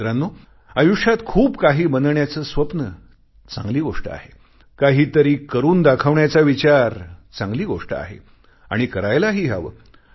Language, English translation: Marathi, Friends, dreams of making it big in life is a good thing, it is good to have some purpose in life, and you must achieve your goals